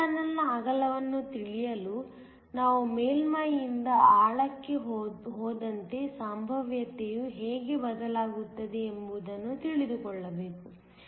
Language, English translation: Kannada, To know the width of the n channel we need to know how the potential varies as we go from the surface to the depth